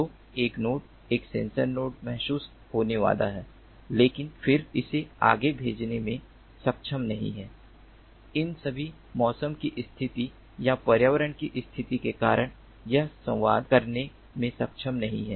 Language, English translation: Hindi, so a node is going to sense, a sensor node is going to sense, but then it is not able to send it forward, it is not able to communicate, because of all these weather conditions or environmental conditions